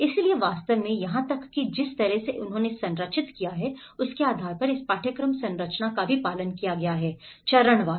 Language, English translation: Hindi, So in fact, even this course structure has been followed based on the way they have structured the phase wise